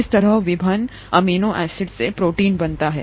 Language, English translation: Hindi, This is how a protein gets made from the various amino acids